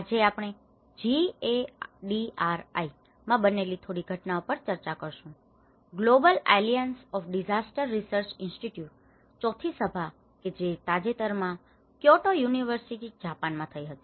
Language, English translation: Gujarati, Today, we are going to discuss about some of the summary of the discussions which happened in the GADRI, Global Alliance of Disaster Research Institutes, the fourth summit which just recently happened in Kyoto University in Japan